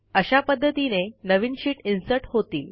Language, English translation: Marathi, This will insert the sheet accordingly